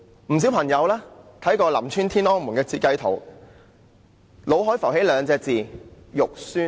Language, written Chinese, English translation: Cantonese, 不少朋友看過林村"天安門"的設計圖後，腦海都會浮起兩個字："肉酸"。, Many people who have seen the design plan of the Tiananmen Square at Lam Tsuen would come up with only one word in their mind ugly